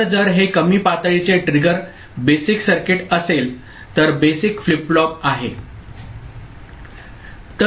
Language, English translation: Marathi, So, if it is low level triggered basic circuit, basic flip flop ok